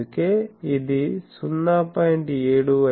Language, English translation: Telugu, So, that will be 0